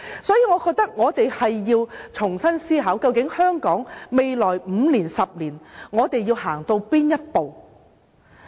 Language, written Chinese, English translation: Cantonese, 所以，我覺得我們要重新思考，究竟我們想香港在未來5年、10年走到哪一步？, Thus I think we have to reconsider what would we like Hong Kong to become in 5 to 10 years time